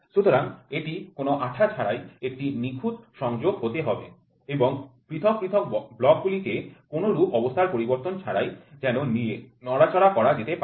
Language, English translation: Bengali, So, it has to be a perfect contact without any glue and can be handled and move around without disturbing the position of the individual blocks